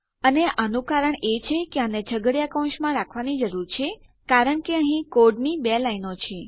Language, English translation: Gujarati, and its because we need to put these in curly brackets since weve got two lines of code here